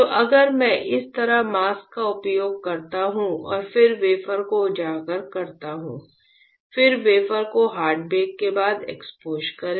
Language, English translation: Hindi, So, if I use mask like this and then expose the wafer; then expose the wafer followed by hard bake